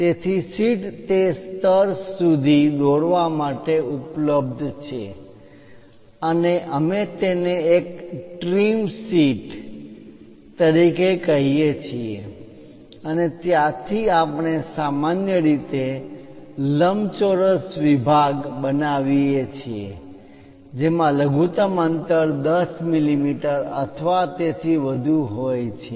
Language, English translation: Gujarati, So, the sheet is available up to that level and we are calling that one as the trim sheet and from there usually we construct a rectangular block with minimum spacing as 10 mm or more